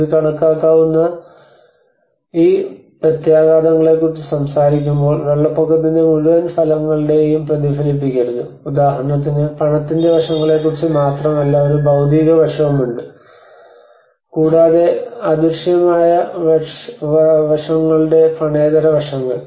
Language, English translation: Malayalam, And when it talks about these quantifiable impacts, do not reflect the entire effects of flooding you know that like, for instance, there is not only about the monetary aspects, there is a physical aspect, and there is also to do with the non monetary aspects of the intangible aspects of it